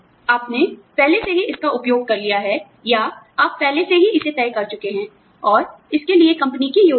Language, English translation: Hindi, You have already used it, or, you have already decided it, and the company is planned for it